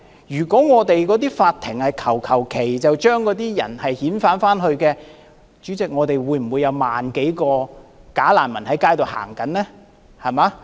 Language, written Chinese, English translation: Cantonese, 如果我們的法庭隨便批准遣返難民的話，代理主席，現在便不會有萬多名假難民在街上行走。, If our courts arbitrarily repatriate refugees Deputy President we would not have more than 100 000 bogus refugees walking on the streets now